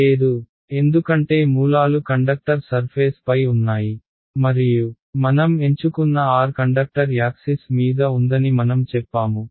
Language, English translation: Telugu, No, right because I have said the sources are on the surface of the conductor and the r that I have chosen is on the axis of the conductor right